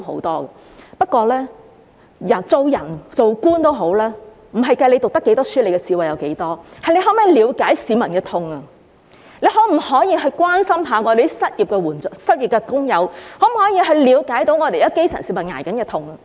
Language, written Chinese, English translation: Cantonese, 但是，做人或做官不在於讀過多少書或智慧有多高，而是在於能否了解市民的痛，關心失業的工友，了解基層市民正承受的痛。, However as a person or an official what matters is not his educational attainment or his intelligence but rather whether he can feel the pain of the public care about the unemployed and understand the pain the grass roots are suffering